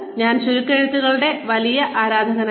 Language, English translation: Malayalam, I am not a big fan of acronyms